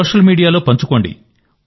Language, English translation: Telugu, So are you active on Social Media